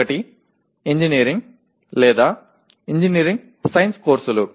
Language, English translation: Telugu, One is engineering or engineering science courses